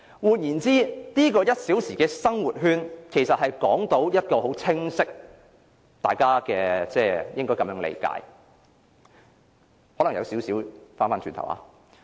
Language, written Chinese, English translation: Cantonese, 換言之，大家應理解這個1小時生活圈為一個很清晰的方向......我可能有少許重複。, In other words we must understand that this one - hour living circle is a very clear direction maybe I am repeating myself somewhat